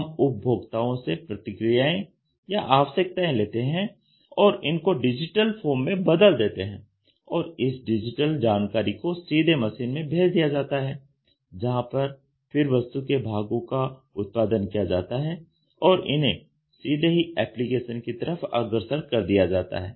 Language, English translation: Hindi, We try to take the customer feedback or requirements converted it into a digital form; and that digital form is given directly to the machine the parts are produced and directly moved towards an application